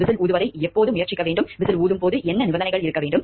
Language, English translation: Tamil, When should whistle blowing be attempted what are the conditions when whistle blowing should be attempted